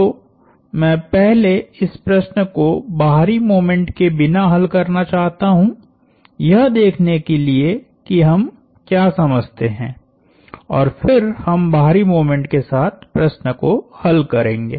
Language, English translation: Hindi, So, I want to first solve this problem without the external moment to see, what we understand and then we will solve the problem with the external moment